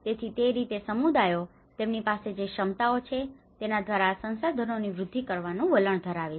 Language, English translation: Gujarati, So in that way communities tend to access these resources in whatever the capacities they have